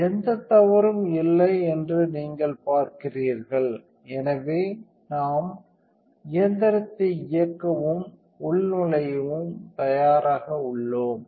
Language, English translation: Tamil, So, you see there is nothing wrong, so we are ready to turn the machine on and login